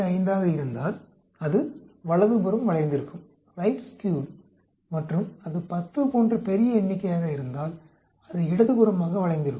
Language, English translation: Tamil, 25, it is sort of right skewed and if it is large number like 10, it is left skewed